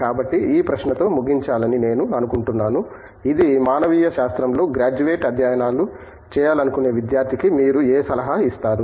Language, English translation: Telugu, So, I think we will close with this question here, which, what advice would you give to an aspiring student who would like to join graduate studies in humanities